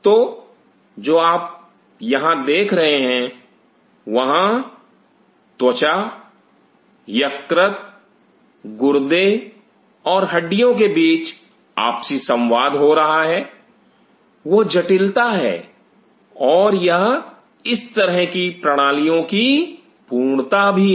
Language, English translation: Hindi, So, what you see here is there is a cross talk happening between skin, liver, kidney, bone that is the complexity or that is the integrity of such systems are